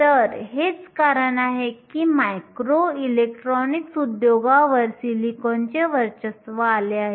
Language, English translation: Marathi, So, this is the reason why silicon has come to dominate the micro electronics industry